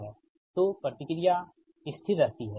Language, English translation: Hindi, so reactance remain constant